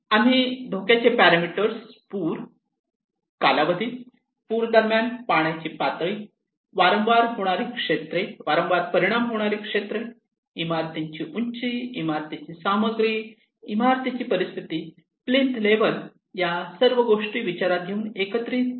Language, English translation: Marathi, Hazard parameters we considered, flood duration, water level during the flood, areas frequently affected, building height, building materials, building conditions, plinth level these all we collected